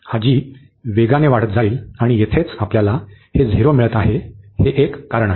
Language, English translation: Marathi, This g will be growing faster, and that is a reason here we are getting this 0